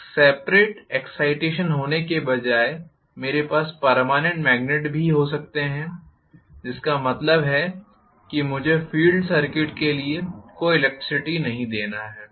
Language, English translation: Hindi, Instead of having a separate excitation I can also have permanent magnet, which means I do not have to give any electricity for the field circuit